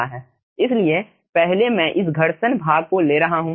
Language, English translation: Hindi, so first i will taking this aah, aah, ah, frictional part